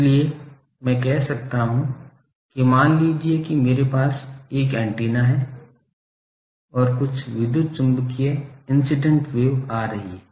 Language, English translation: Hindi, So, I can say that suppose I have a this is an antenna and some electromagnetic wave incident wave is coming